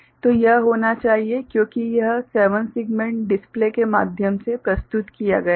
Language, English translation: Hindi, So, it should be because it is presented through 7 segment display